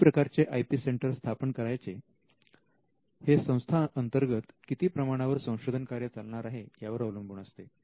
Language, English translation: Marathi, Now, the choice of the type of IP centre can depend on the amount of research that is being done in the institute